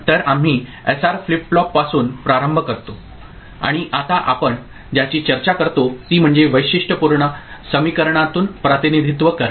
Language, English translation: Marathi, So, we start with SR flip flop and what we discuss now is representation through Characteristic Equation